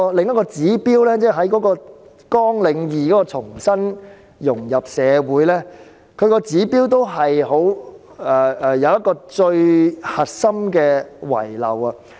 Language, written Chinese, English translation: Cantonese, 另外，在綱領2重新融入社會的指標中，同樣遺漏了最重要的項目。, In addition the most important item is omitted from the indictors under Programme 2 Re - integration